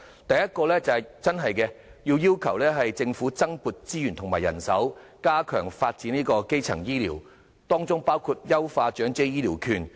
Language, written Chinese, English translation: Cantonese, 第一，要求政府增撥資源及人手，加強發展基層醫療，包括優化長者醫療券。, First we request the Government to increase resources and manpower to step up primary health care development including enhancing the Elderly Health Care Voucher Scheme